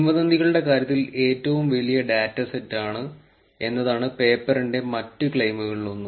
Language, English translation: Malayalam, And one of the others claims by the paper is the largest dataset in terms of the rumours